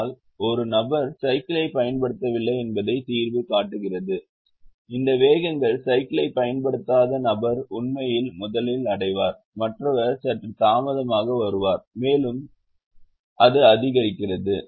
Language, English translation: Tamil, but if the solution shows that one person is not using the cycle at all, the these speeds are such that the person not using the cycle actually reaches first and the others come slightly late and it's maximize